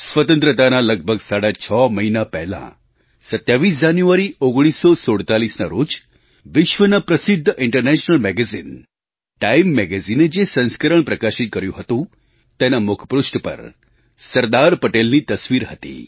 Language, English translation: Gujarati, Six months or so before Independence, on the 27th of January, 1947, the world famous international Magazine 'Time' had a photograph of Sardar Patel on the cover page of that edition